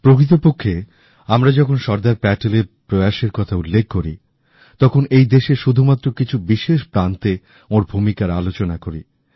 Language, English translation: Bengali, Actually, when we refer to Sardar Patel's endeavour, his role in the unification of just a few notable States is discussed